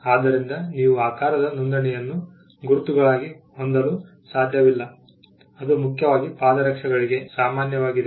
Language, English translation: Kannada, So, you cannot have a registration of a shape as a mark which is essentially to which is common for footwear